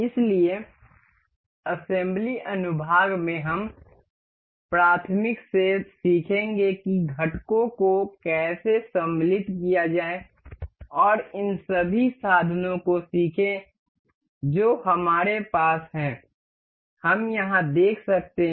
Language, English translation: Hindi, So, in assembly section we will learn to learn to learn from elementary to how to insert components and learn all of these tools that we have we can see over here